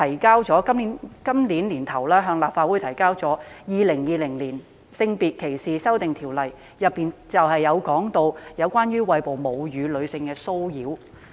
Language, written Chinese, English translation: Cantonese, 今年年初，政府向立法會提交《2020年性別歧視條例草案》，當中涉及對餵哺母乳的女性的騷擾。, Early this year the Government introduced the Sex Discrimination Amendment Bill 2020 into the Legislative Council which covered harassment of breastfeeding women